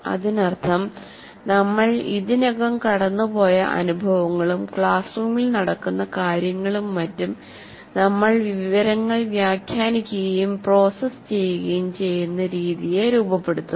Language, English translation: Malayalam, That means these experiences through which we have gone through already and whatever there is going on in the classroom, they shape the way we interpret and process information